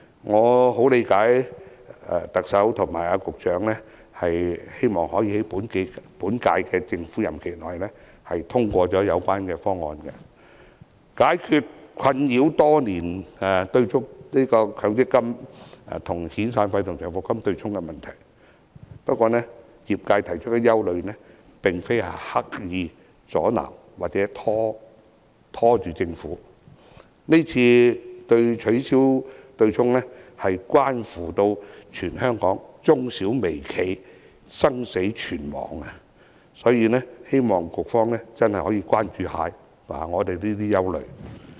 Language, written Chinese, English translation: Cantonese, 我十分理解特首和局長希望可以在本屆政府任期內通過有關方案，解決困擾多年的強積金與遣散費和長期服務金對沖的問題，不過業界提出的憂慮並非刻意阻撓或拖延政府，今次取消強積金對沖問題，關乎全香港中小微企的生死存亡，所以希望局方可以關注我們的憂慮。, I know that the Chief Executive and the Secretary also wish to have the proposal passed within the term of this Government so as to tackle the problem of the offsetting arrangement under the MPF System that has haunted us for years . The sector has voiced out their concerns but they do not mean to deliberately create an obstacle or stall the Government . The abolition concerns the life or death of all MSMEs in Hong Kong